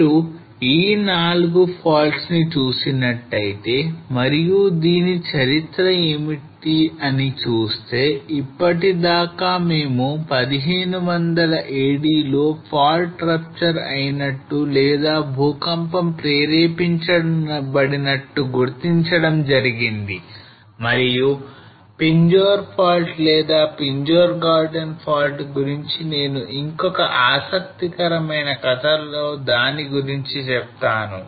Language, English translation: Telugu, So if you look at 4 faults and what is the history on this until now we have identified that this fault ruptured or triggered the earthquake in 1500 AD and Pinjore fault or Pinjore garden fault I will come to that is an another interesting story here